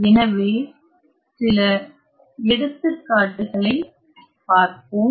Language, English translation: Tamil, So, let us look at some examples